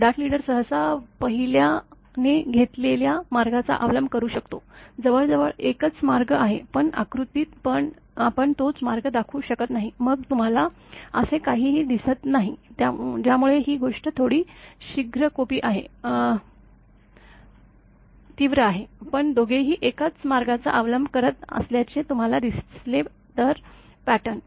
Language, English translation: Marathi, A second leader called dart leader may also stroke usually following the same path taken by the first leader; almost the same path, but here in the diagram we cannot show the same path; then you cannot see anything that is why little bit this thing, but pattern if you see that both are following the same path